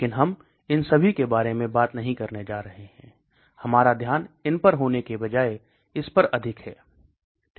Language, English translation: Hindi, But we are not going to talk about all these, our focus is more on these rather than these okay